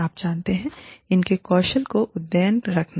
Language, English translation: Hindi, You know, keeping their skills updated